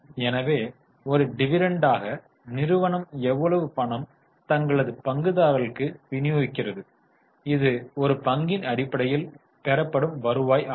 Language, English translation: Tamil, So, how much money is company distributing as a dividend which will be received on a per share basis